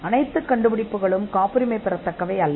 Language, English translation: Tamil, Not all inventions are patentable